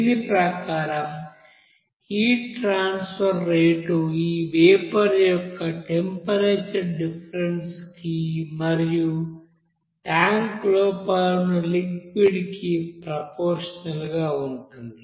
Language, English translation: Telugu, So accordingly we can say that here the rate of heat transfer is proportional to that temperature difference of this steam and the liquid inside the tank